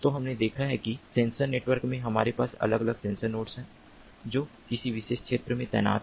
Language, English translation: Hindi, so we have seen that in sensor networks we have different sensor nodes that a deployed in a particular region